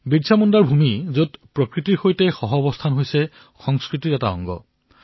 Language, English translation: Assamese, This is BirsaMunda's land, where cohabiting in harmony with nature is a part of the culture